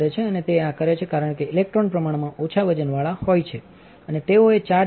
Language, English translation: Gujarati, And it does this because the electrons are relatively lightweight and they have charged